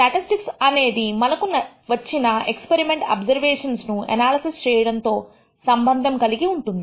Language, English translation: Telugu, Statistics actually deals with the analysis of experimental observations that we have obtained